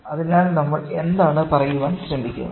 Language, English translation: Malayalam, So, what we are trying to say